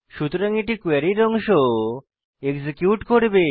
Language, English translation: Bengali, So this part of the query will be executed